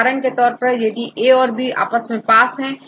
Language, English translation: Hindi, For example, here A and B are close to each other